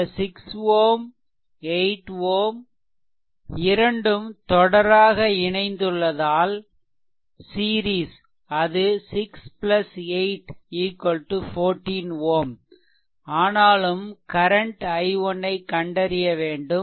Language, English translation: Tamil, So, 6 plus 8 is actually 14 ohm, but any way you have to find out the current i 1